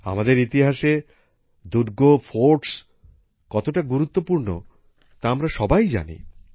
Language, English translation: Bengali, We all know the importance of forts in our history